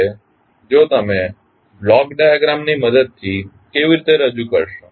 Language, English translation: Gujarati, Now, how you will represent with the help of block diagram